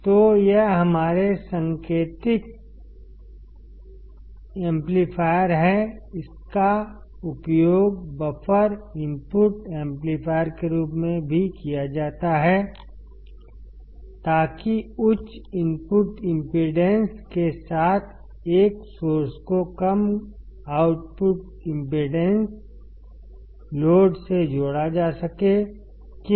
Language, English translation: Hindi, So, this is our indicated amplifier; it is also used as a buffer voltage amplifier to connect a source with high input impedance to a low output impedance load; why